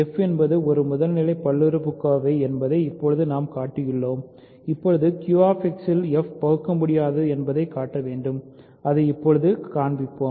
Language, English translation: Tamil, Now we have showed that f is a primitive polynomial we need to now show that f is irreducible in Q X, that is what we will show now